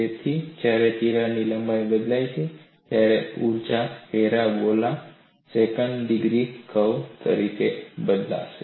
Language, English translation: Gujarati, So, when the crack length changes, the energy would change as a parabola, second degree curve